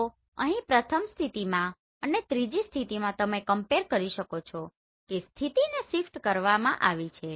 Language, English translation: Gujarati, So here in the first position and the third position you can compare the position has been shifted right